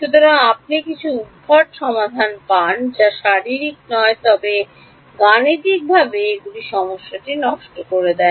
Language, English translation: Bengali, So, you get some spurious solutions which are not physical, but mathematically they end up spoiling the problem